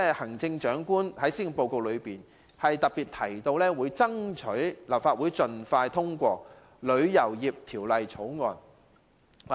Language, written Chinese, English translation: Cantonese, 行政長官在施政報告中特別提到，會爭取立法會盡快通過《旅遊業條例草案》。, The Chief Executive highlights in the Policy Address that the Government will seek the Legislative Councils early approval of the Travel Industry Bill the Bill